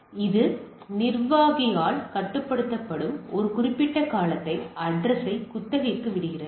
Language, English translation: Tamil, So, it leases the address for a particular time period control by administrator right